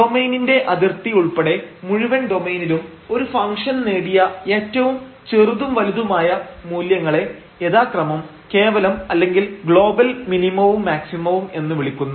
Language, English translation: Malayalam, So, the smallest and the largest values attained by a function over entire domain including the boundary of the domain are called absolute or global minimum or absolute or global maximum respectively